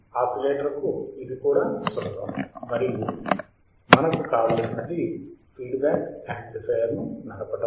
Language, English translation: Telugu, This is also easy for the oscillator and what we want is that the feedback should drive the amplifier